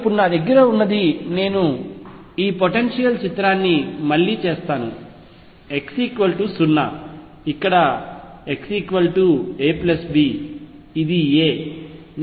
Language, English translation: Telugu, So, what I have now is I will again make this picture of this potential, x equals 0 here x equals a plus b, this is a